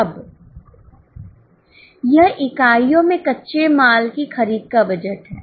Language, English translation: Hindi, Now, this is a raw material purchase budget in units